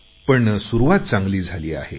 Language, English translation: Marathi, Yet, the beginning has been good so far